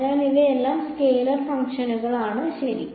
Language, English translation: Malayalam, So, all of these are scalar functions ok